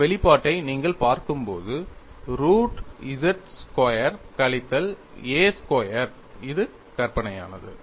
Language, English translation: Tamil, And when you look at this expression, root of z squared minus a squared, this is imaginary